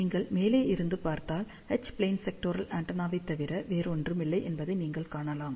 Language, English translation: Tamil, And if you look from the top, then you can see top view is nothing but similar to H plane sectoral horn antenna